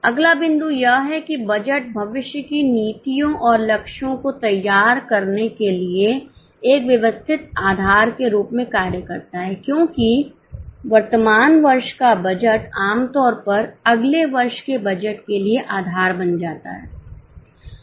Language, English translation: Hindi, The next point is budget acts as a systematic base for framing future policies and targets because current year budget usually becomes base for next year budget